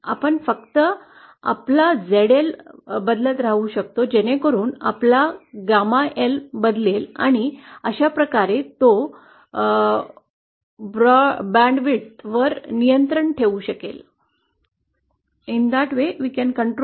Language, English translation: Marathi, We can only keep changing our ZL so that our gamma L changes and that way he can control the band width